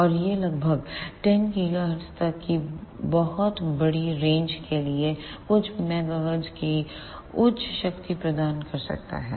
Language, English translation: Hindi, And it can provide high powers of about few megahertz for a very large range of frequencies up to about 10 gigahertz